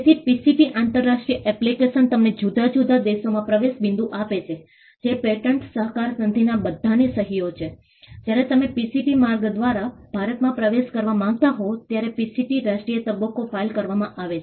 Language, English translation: Gujarati, So, the PCT international application gives you an entry point into different countries, which are all signatories to the Patent Cooperation Treaty; whereas, the PCT national phase is filed, when you want to enter India through the PCT route